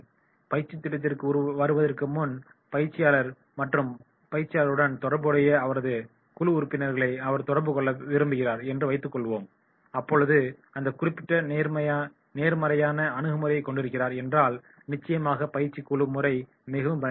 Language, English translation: Tamil, Suppose the trainee he wants to contact the trainer before coming to the training program and his team members who is corresponding with this trainees and then he is having that particular positive approach then definitely the training team that will be more and more effective